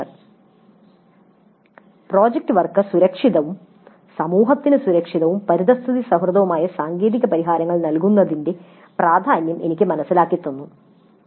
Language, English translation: Malayalam, Project work made me understand the importance of providing technical solutions that are safe, safe for the society and environment friendly